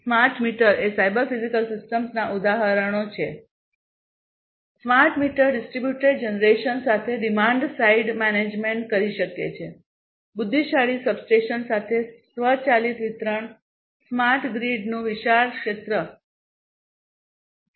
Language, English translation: Gujarati, Smart meters are examples of cyber physical systems smart meters can do demand side management with distributed generation, automated distribution with intelligent substations, wide area control of smart grid